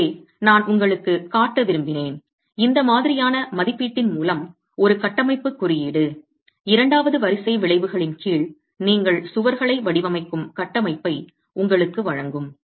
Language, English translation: Tamil, Okay, so I wanted to show you how with this sort of an estimate, code would then, structural code would then give you the framework within which you design walls under second order effects